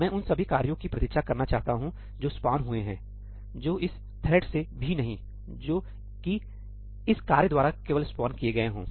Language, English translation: Hindi, I want to wait for all the tasks that are spawned not by this thread also which are spawned by this task